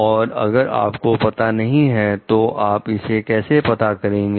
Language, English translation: Hindi, If you do not know, how we could find it out